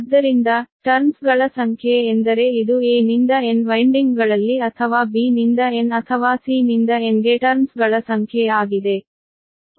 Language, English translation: Kannada, it is number of turns means it is that turns in your either in a to n windings or b to n or c to n